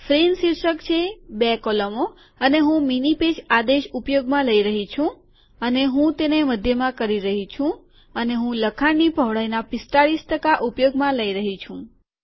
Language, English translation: Gujarati, Frame title, two columns, and Im using the command mini page, and Im centering it and Im using 45 percent of the text width